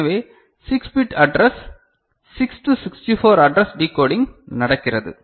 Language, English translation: Tamil, So, 6 bit address; 6 to 64 address decoding that is what is happening ok